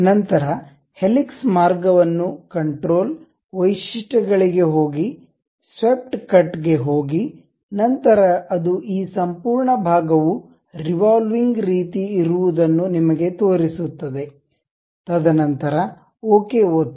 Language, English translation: Kannada, Then pick the helix path also, control, go to features, go to swept cut, then it shows you this entire thing something like revolving kind of portion, and then click ok